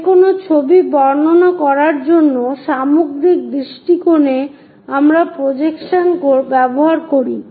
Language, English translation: Bengali, To describe about any picture, in the overall perspective we use projections